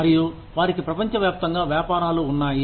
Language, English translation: Telugu, And, they have businesses, all over the world